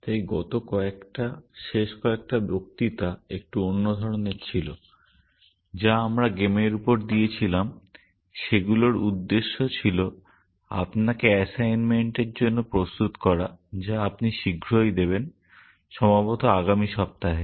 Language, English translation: Bengali, So, the last few, the last few lectures that we had on games was a bit of a diversion intended to get you ready for the assignment, which you will soon give you, possibly next week